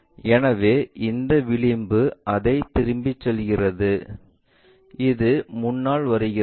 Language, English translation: Tamil, So, that this edge goes it back and this one comes front